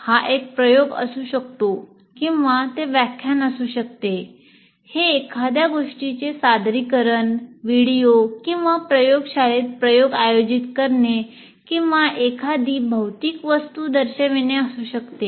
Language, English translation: Marathi, It could be an experiment or it could be a lecture, it could be presentation of something else, a video or even conducting an experiment in the lab or showing a physical object, but he is demonstrating